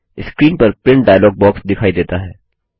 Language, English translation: Hindi, The Print dialog box appears on the screen